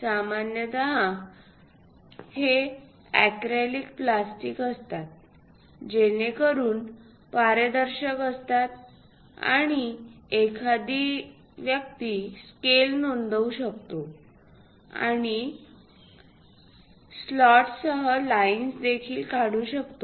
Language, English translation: Marathi, Usually, these are acrylic plastics, so that transparent and one can note the scale and put the lines along these slots also